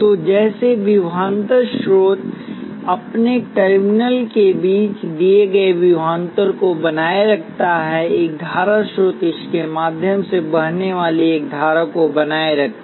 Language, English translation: Hindi, So just like a voltage source maintains a given voltage between its terminals; a current source maintains a given current flowing through it